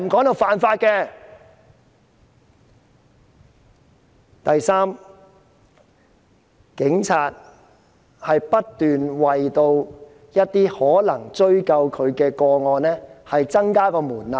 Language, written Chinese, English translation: Cantonese, 第三，警方不斷就可能追究警方的個案提高門檻。, Thirdly the Police have kept raising the threshold for pursuing responsibility of police officers